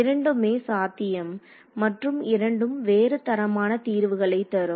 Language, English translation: Tamil, Both possibilities exist and both will give you different quality of solutions ok